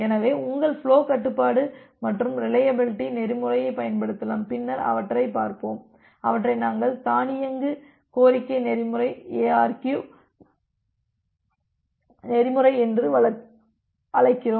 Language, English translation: Tamil, So, then you can apply your flow control and the reliability protocol which will look later on we call them as the automated request protocol ARQ protocol